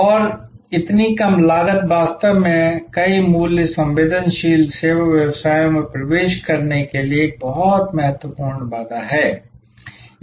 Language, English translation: Hindi, And so low cost is really a very significant barrier to entry in many price sensitive service businesses